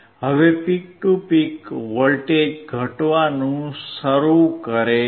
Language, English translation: Gujarati, Now the peak to peak voltage start in decreasing